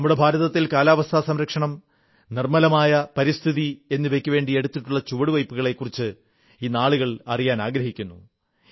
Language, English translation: Malayalam, It is my firm belief that people want to know the steps taken in the direction of climate justice and clean environment in India